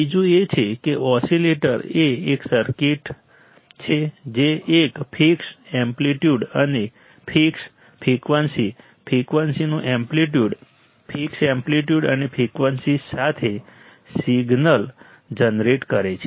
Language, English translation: Gujarati, Second is that the oscillator is a circuit that generates a fixed a fixed amplitude and frequency fixed, amplitude of frequency, generates a signal with a fixed amplitude and frequency right